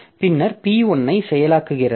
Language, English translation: Tamil, And then process P1